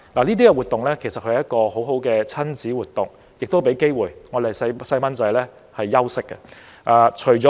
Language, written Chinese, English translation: Cantonese, 這些節目其實是很好的親子活動，亦給我們的孩子休息的機會。, Activities like this are very good for the whole family and they give our children a chance to have a break